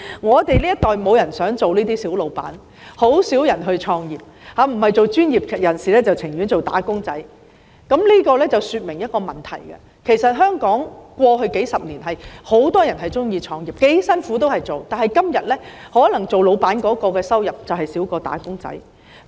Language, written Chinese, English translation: Cantonese, 我們這一代沒有人想當小僱主，很少人創業，不是當專業人士，便是寧願當"打工仔"，這說明了一個問題，便是其實香港在過去數十年很多人喜歡創業，不管多辛苦也會做，但時至今天，可能當僱主的收入比"打工仔"更少。, In our generation no one wants to be an employer and very few people want to start a business . They either want to be professionals or would rather be wage earners . This points to one problem that is in fact in the past several decades many people in Hong Kong liked to start businesses and no matter how hard it is they would still do so but nowadays albeit the income made from being an employer may even be less than that of a wage earner